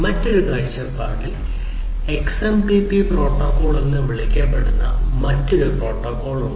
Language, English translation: Malayalam, From another point of view there is another protocol which is called the XMPP protocol